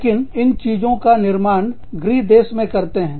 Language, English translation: Hindi, But, these things are manufactured, in the home country